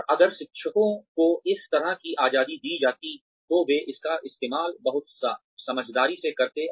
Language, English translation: Hindi, And, if the teachers were given this kind of a freedom, they would use it very wisely